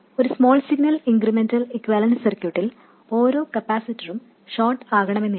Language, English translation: Malayalam, In a small signal incremental equivalent circuit, it is not that every capacitor becomes a short